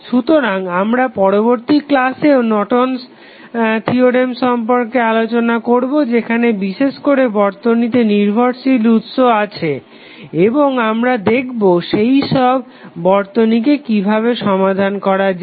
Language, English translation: Bengali, So, we will continue our Norton's theorem discussion in the next class where we will discuss more about the conditions when the dependent sources are available in the circuit and we will come to know how we will solve those circuits, thank you